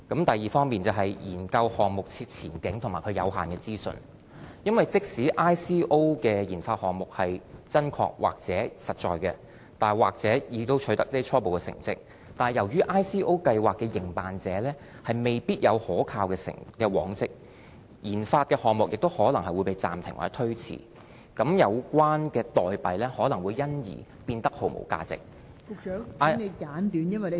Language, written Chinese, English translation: Cantonese, 第二，是研究項目的前景和有限的資訊，因為即使 ICO 的研發項目真確或實在，甚或已經取得初步成績，但由於 ICO 計劃的營辦者未必有可靠的往績，研發項目也可能會暫停或推遲，有關代幣可能會因而變得毫無價值......, The second risk is related to project prospects and limited information . An ICO operator may not have any reliable track record so even if an ICO project is authentic or may even have achieved certain initial results investor still face the risk of the sudden suspension or delay of the project and the tokens in the ICO may become worthless